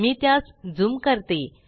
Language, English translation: Marathi, Let me zoom it